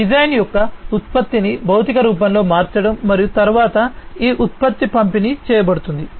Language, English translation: Telugu, Conversion of the design into the physical form of the product and then this product will be delivered, so delivery of the product